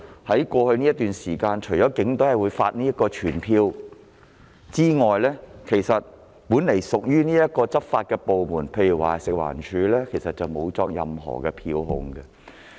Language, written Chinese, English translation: Cantonese, 在過去一段時間，除警隊會發出告票外，本來屬執法部門的食物環境衞生署根本沒有作出任何票控。, Over the past period of time apart from the fixed penalty tickets issued by the Police Force not a single penalty ticket has ever been issued by the Food and Environmental Hygiene Department which is supposed to be the department enforcing the restrictions